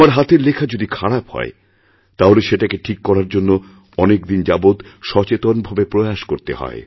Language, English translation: Bengali, If we have bad handwriting, and we want to improve it, we have to consciously practice for a long time